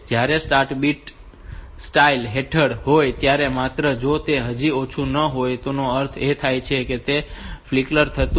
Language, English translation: Gujarati, When the start bit under style, just if it is not low yet that means that was a flicker, so that was a flicker